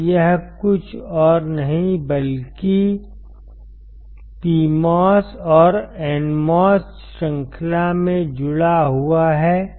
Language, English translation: Hindi, Now,, this is nothing but PMOS and NMOS connected, in series